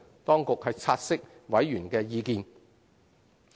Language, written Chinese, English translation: Cantonese, 當局察悉委員的意見。, The Administration has taken note of the members views